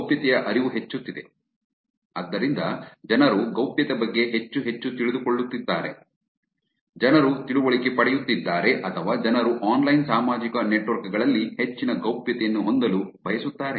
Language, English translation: Kannada, Increasing awareness of privacy, so people are getting to know more and more about privacy,people are getting to or people want to have more privacy on online social networks